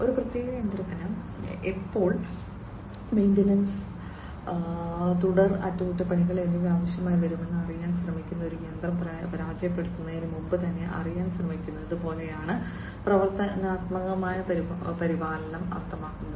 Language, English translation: Malayalam, And predictive maintenance means like you know trying to know beforehand even before a machine fails trying to know when a particular machine would need maintenance, further maintenance, and so on